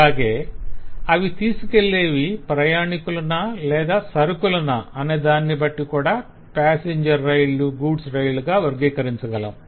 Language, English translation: Telugu, we can classify the trains based on whether they are passenger trains or goods train, that is, whether they just carry passenger or they just carry goods